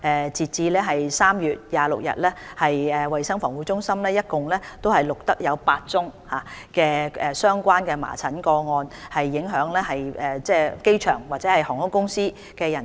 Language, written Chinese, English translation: Cantonese, 截至3月26日，衞生防護中心一共錄得8宗相關的麻疹個案，影響機場或航空公司的人士。, As at 26 March CHP has recorded a total of eight measles cases involving staff of the airport or of the airlines